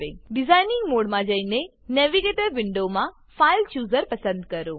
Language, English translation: Gujarati, Switch to the design mode and select the fileChooser in the Navigator window